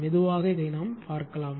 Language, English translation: Tamil, slowly and slowly will see this